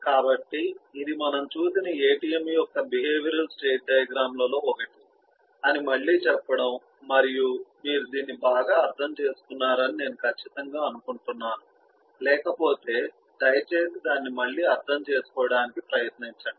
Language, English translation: Telugu, so this is eh just to recap that this is one of the behavioral state diagrams of an atm that we have done and am sure you have understood this well and, if you not, please go through that again now